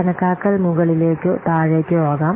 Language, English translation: Malayalam, The estimation can be a top down or bottom up